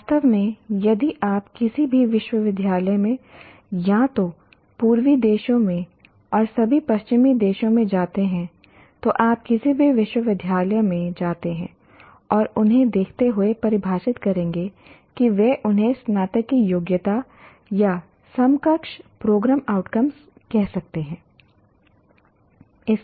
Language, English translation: Hindi, In fact, if you go to any university, either in some of the eastern countries and in all western countries, if you go, you go to any university and look for, they would have defined the, they may call them graduate attributes or equivalent program outcomes